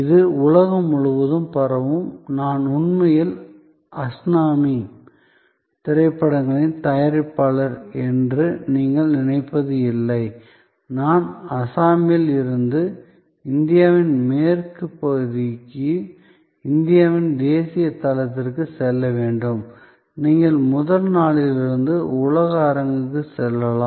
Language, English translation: Tamil, So, it will spread around the globe, so it is not that you are thinking of that I am actually a producer of Assamese films and I have to go from Assam to Western region of India to the national platform of India, you can go to the world stage right from day 1